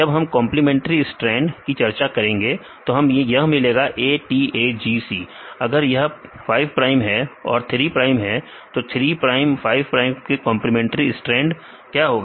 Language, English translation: Hindi, So, when we discuss the complimentary stands we get the this is the, ATAGC, if it is 5 prime 3 prime, then what is the complementary strand in the 5 prime 3 prime